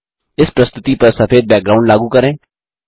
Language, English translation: Hindi, Lets apply a white background to this presentation